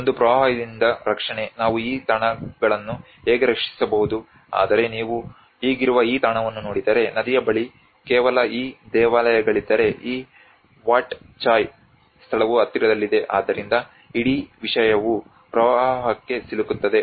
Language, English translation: Kannada, One is the protection from flooding, how we can protect this sites but if you look at this existing site if the river is just these temples have this Wat Chai place is just near to the so it all the whole thing gets flooded